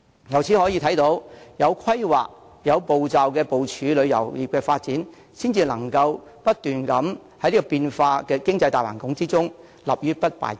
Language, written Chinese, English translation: Cantonese, 由此可見，有規劃、有步驟地部署旅遊業發展，才能在不斷變化的經濟大環境中立於不敗之地。, It can thus be seen that we should map out the development plan for tourism in a well - planned and orderly manner so that the industry will remain invincible in the face of an ever - changing economic environment